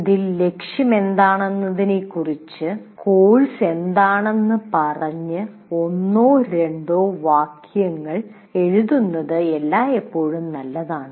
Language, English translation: Malayalam, It is always good to write one or two sentences saying what the course is all about